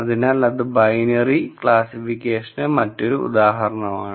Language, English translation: Malayalam, So, that is another binary classification example